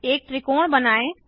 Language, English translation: Hindi, Lets draw a circle